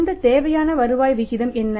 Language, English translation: Tamil, What is this required rate of return